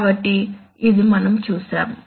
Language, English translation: Telugu, So this is what we saw